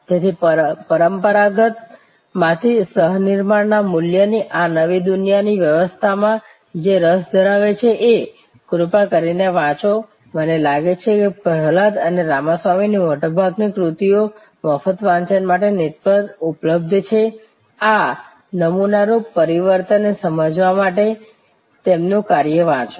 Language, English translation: Gujarati, So, this transition from the traditional to the new world of value co creation and those of who you are interested, please do read up I think most of the work from Prahalad and Ramaswamy are available on the net for free reading, please do read their work to understand this paradigm shift